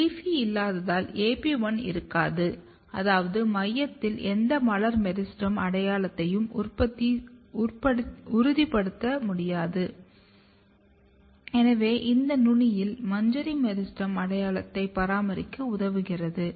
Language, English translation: Tamil, And since you do not have LEAFY you do not have AP1 which means that you cannot assure any floral meristem identity in the center so that is it this helps in maintaining inflorescence meristem identity at the apex